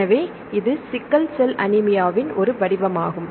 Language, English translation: Tamil, So, this is one form the sickle cell anemia